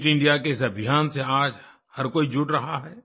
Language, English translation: Hindi, Everybody is now getting connected with this Fit India Campaign